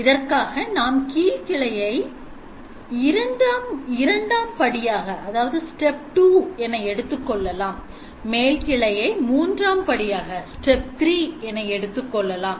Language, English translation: Tamil, So let us take 2 cases let take the case where you take the lower branch as step 2 and then you take the upper branch as step 3